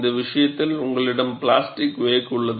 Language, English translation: Tamil, For this case, you have the plastic wake